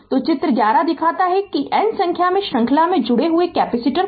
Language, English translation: Hindi, So, figure 11 shows n number of capacitors are connected in series